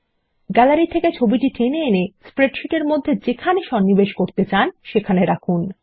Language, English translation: Bengali, Drag the image from the Gallery and drop it into the spreadsheet where you want to insert it